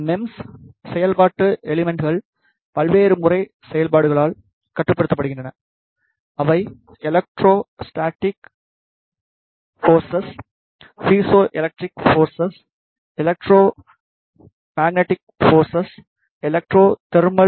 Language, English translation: Tamil, In MEMS functional components are controlled by various method of actuations, they could be electrostatic forces, piezoelectric forces, electromagnetic forces, electro thermal forces